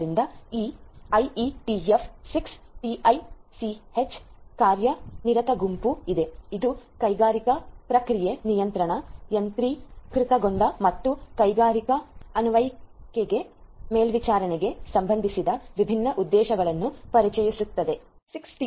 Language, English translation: Kannada, So, there is this IETF 6TiSCH working group which introduced different objectives which are relevant for industrial process control, automation, and monitoring industrial applications